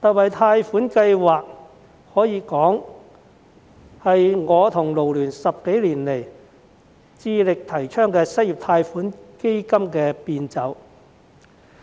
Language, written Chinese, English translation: Cantonese, 這項貸款計劃，可說是我和港九勞工社團聯會10多年來致力提倡的失業貸款基金的變奏。, It can be said that this loan scheme is a variation of the unemployment loan fund which the Federation of Hong Kong and Kowloon Labour Unions FLU and I have been vigorously advocated for more than 10 years